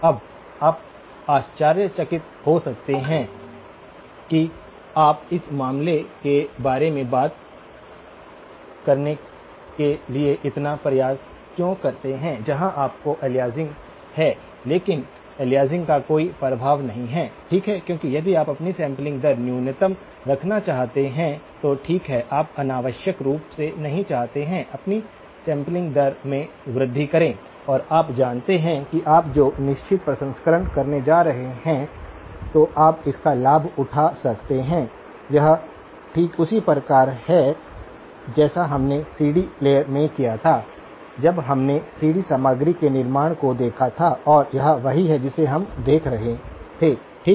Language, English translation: Hindi, Now, you may wonder why you take so much of effort to talk about the case where you have aliasing but no effect of aliasing, okay this is because if you want to keep your sampling rate to the minimum, okay you do not want to unnecessarily increase your sampling rate and you know that the certain processing you are going to do, then you can take advantage of it, this is exactly similar to what we did in the CD player, when we looked at the creation of CD content and this is what we were looking at okay